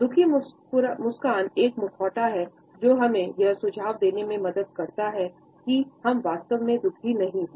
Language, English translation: Hindi, The miserable a smile is a mask which helps us to suggest that we are not exactly in pain